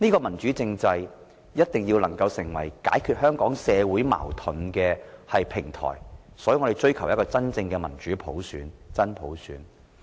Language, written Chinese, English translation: Cantonese, 民主政制必須成為解決香港社會矛盾的平台，所以我們追求真正的民主普選，即真普選。, A democratic political system must become a platform for resolving social disputes in Hong Kong . Thus we are seeking universal suffrage which is genuinely democratic ie . genuine universal suffrage